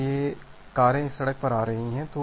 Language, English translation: Hindi, So, the cars are coming to this road